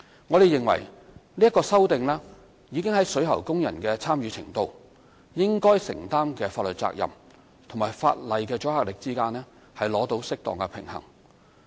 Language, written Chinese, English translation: Cantonese, 我們認為，這項修訂已在水喉工人的參與程度、應該承擔的法律責任和法例的阻嚇力之間取得適當平衡。, We consider that this amendment has already struck a proper balance amongst the level of involvement of plumbing workers the legal liabilities to be borne by them and the deterrent effect of the law